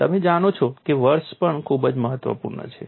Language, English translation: Gujarati, You know year is also very important